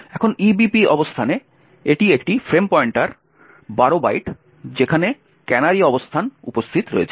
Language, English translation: Bengali, Now at the location EVP that is a frame pointer minus 12 bytes is where the canary location is present